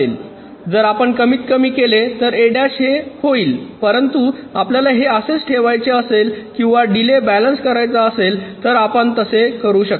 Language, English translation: Marathi, if we minimize, this will be only a bar, but if we want to keep it like this, or balancing the delays, you can keep it also like this